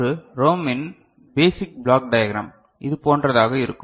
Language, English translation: Tamil, And so the basic block diagram of a ROM will be something like this